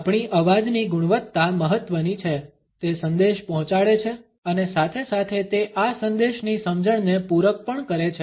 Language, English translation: Gujarati, Our voice quality is important it conveys the message and at the same time it also compliments the understanding of this message